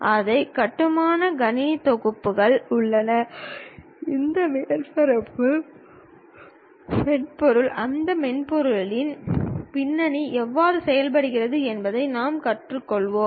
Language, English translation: Tamil, There are computer packages which are available to construct that and what we will learn is how these softwares, the background of those softwares really works